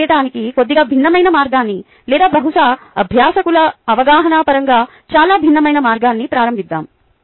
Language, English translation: Telugu, ok, lets begin the slightly different way of doing it, a probably a very different way of doing it as far as the understanding of the learners go